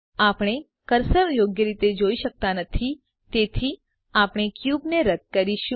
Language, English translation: Gujarati, We cant see the cursor properly so we must delete the cube